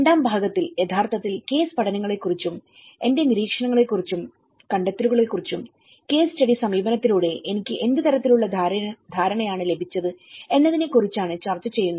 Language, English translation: Malayalam, And in the second part, I will be actually discussing about the case studies and my observations and findings about what kind of understanding I got it through the case study approach